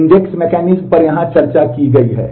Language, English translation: Hindi, The index mechanisms are discussed here